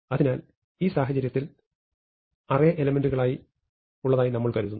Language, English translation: Malayalam, So, in this case we think of the array as being in 2 components